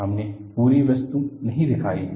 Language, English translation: Hindi, We are not shown the entire object